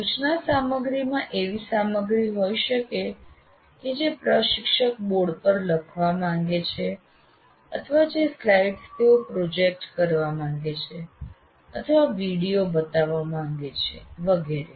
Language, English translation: Gujarati, Instruction material may consist of the material that instructor wants to write on the board or the slides they want to project or video they want to show, whatever it is